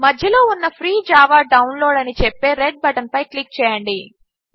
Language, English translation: Telugu, Click on the Red button in the centre that says Free Java Download